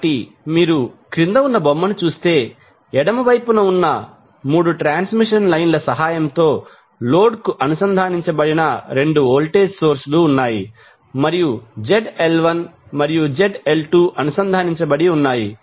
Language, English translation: Telugu, So, if you see the figure below, you will see on the left there are 2 voltage sources connected to the load with the help of 3 transmission lines and load Zl1 and Zl2 are connected